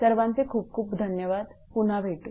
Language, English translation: Marathi, Thank you again we will be back again